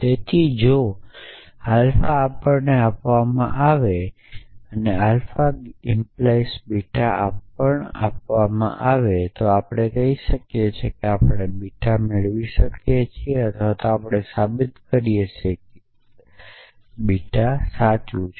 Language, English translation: Gujarati, So, if alpha is given to us and alpha implies beta is given to us when we can say we can derive beta or we can prove that beta is true essentially